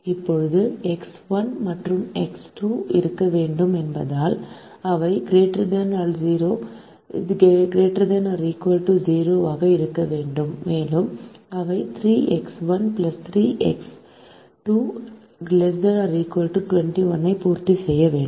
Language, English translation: Tamil, now, since x one and x two have to be, they have to be greater than or equal to zero, and they have to satisfy three x one plus three x two less than or equal to twenty one